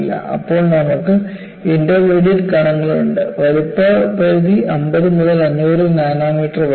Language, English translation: Malayalam, Then you have intermediate particles, the size range is 50 to 500 nanometers